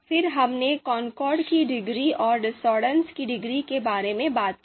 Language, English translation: Hindi, Then we talked about the you know concordance degree and the discordance degree